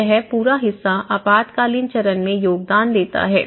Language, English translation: Hindi, So this is the whole part contributes to emergency phase